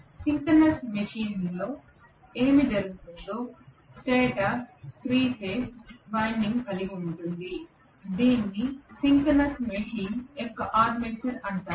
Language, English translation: Telugu, But in a synchronous machine what happens is the stator has the 3 phase winding which is known as the Armature of the synchronous machine